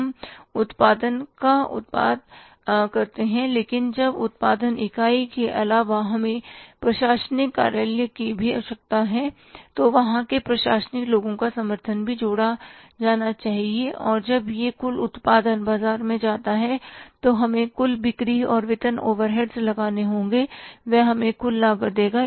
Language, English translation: Hindi, We produce the production but now apart from the production unit we need the administrative office also, support of the administrative people, their cost also has to be added and when when this total production goes to the market, we will have to incur some selling and distribution overheads